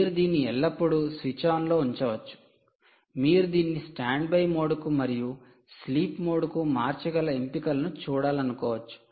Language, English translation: Telugu, therefore, you may want to look at options of shifting it to a standby mode and also sleep mode